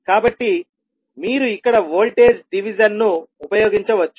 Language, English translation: Telugu, So you can simply use voltage division here